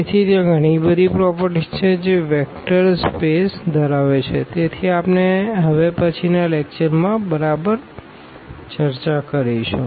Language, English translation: Gujarati, So, there are so many other properties which are vector space has; so, that we will discuss exactly in the next lecture